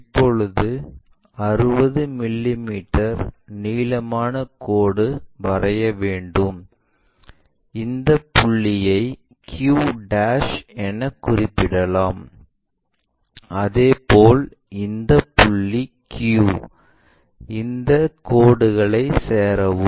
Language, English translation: Tamil, Now, 60 mm long lines locate it; so here, and let us call this point as q'; similarly this point is our q, join these lines